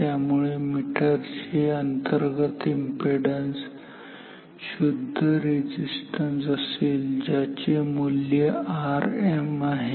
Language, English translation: Marathi, So, the internal impedance of this meter is like a pure resistance with the value of R m